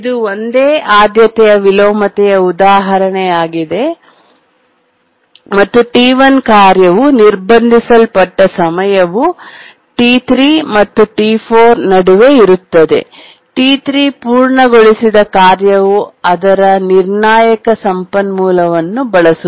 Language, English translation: Kannada, So this is an example of a single priority inversion and the time for which the task T1 gets blocked is between T3 and T4, where the task T3 completes users of its critical resource